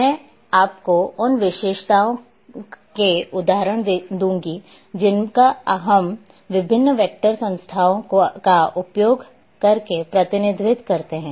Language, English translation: Hindi, I will give you the examples of features which we represent using different vector entities